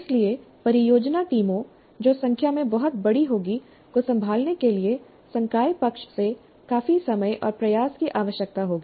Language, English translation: Hindi, So handling the project teams, which would be very large in number, would require considerable time and effort from the faculty side